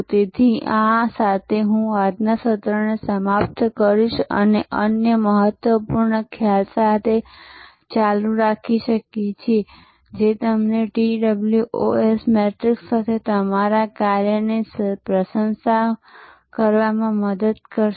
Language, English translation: Gujarati, So, with this I will end today's session and we can continue with another important concept, which will help you to compliment your work with the TOWS matrix